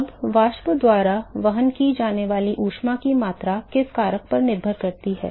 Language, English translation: Hindi, Now, the extent of heat that is carried by the vapor depends upon what factor